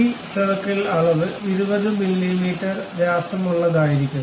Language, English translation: Malayalam, This circle dimension supposed to be correct 20 mm in diameter